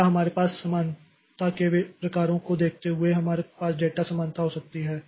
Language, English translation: Hindi, Next, looking into the types of parallelism that we have, so we can have data parallelism